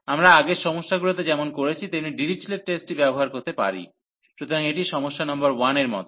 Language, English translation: Bengali, So, we can use that Dirichlet test like we have done in the earlier problems, so this is similar to the problem number 1